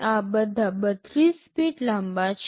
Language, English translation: Gujarati, All of these are 32 bit long